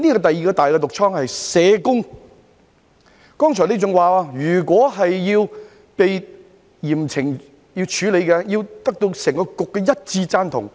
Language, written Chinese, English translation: Cantonese, 第二個"大毒瘡"是社工，局長剛才還說，如果要被嚴懲處理，須獲得整個局的一致贊同。, The other big malignant boil is social workers . The Secretary said earlier that the unanimous support of the entire Board would be required if severe punishment was to be imposed